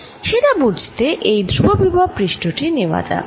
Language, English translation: Bengali, to understand that, let us make this constant potential surface